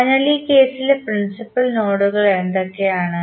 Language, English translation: Malayalam, So, what are the principal nodes in this case